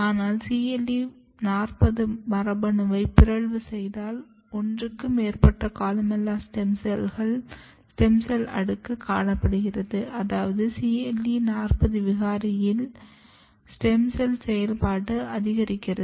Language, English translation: Tamil, But if you mutate CLE40 genes what you see that there is more than one layer of stem cells columella stem cells which means that in cle40 mutants there is a gain of stem cell activity